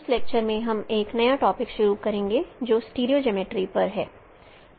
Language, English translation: Hindi, In this lecture we will start a new topic that is on stereo geometry